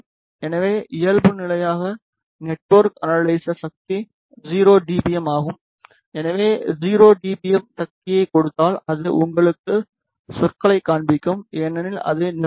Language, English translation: Tamil, So, by default the network analyzer power is 0 dBm if we give 0 dBm power then it will show you wording because it will saturate